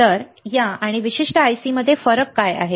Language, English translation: Marathi, So, what is the difference between this and this particular IC here